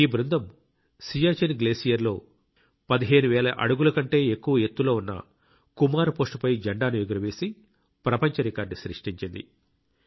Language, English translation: Telugu, This team created a world record by hoisting its flag on the Kumar Post situated at an altitude of more than 15 thousand feet at the Siachen glacier